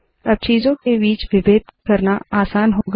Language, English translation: Hindi, Now it is easy to discriminate between the objects